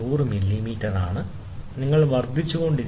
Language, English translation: Malayalam, So, 100 millimeter, so the distance is 100 millimeter, you keep increasing